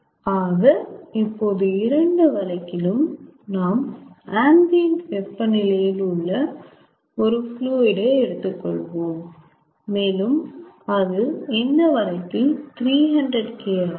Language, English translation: Tamil, lets say, in both the cases we take a stream of fluid which is at ambient temperature and ah, that is, for the present case it is three hundred k, three hundred kelvin